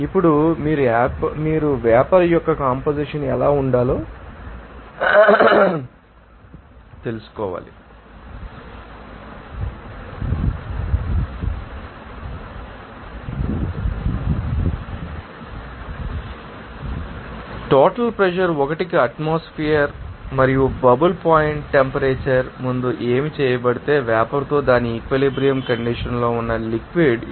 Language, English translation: Telugu, Now, you have to find out what should be the composition of the vapor formed, if the total pressure will be 1 atmosphere and what is the bubble point temperature said to before is that liquid at its equilibrium condition with the vapor